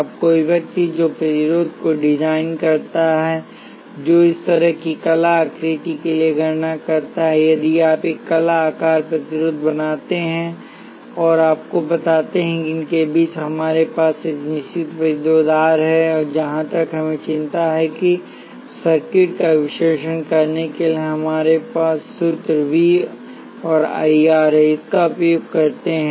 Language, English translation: Hindi, Now, somebody whoever designing the resistor, who carry out the calculations for an art shape like this, if you do make an art shape resistor and tell you that between these, we have a certain resistance R and as far as we have concern we simply use this in our formula V equals I R to analyze circuits